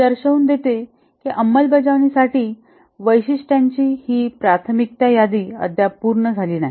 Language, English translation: Marathi, This is a prioritized list of features to be implemented and not yet complete